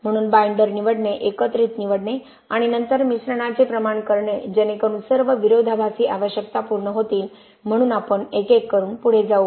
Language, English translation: Marathi, So choosing the binder choosing the aggregates and then proportioning the mix so that all the contrasting requirements are satisfied, so we will go one by one